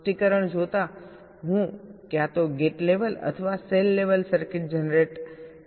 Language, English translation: Gujarati, given a specification, i want to generate either a gate level or a cell level circuit